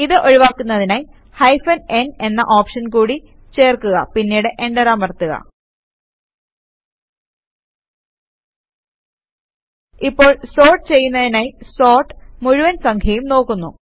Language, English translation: Malayalam, To avoid this add the option of hyphen n, hyphen n and Enter Now sort looks at the entire number to sort them